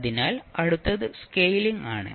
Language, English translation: Malayalam, So, next is the scaling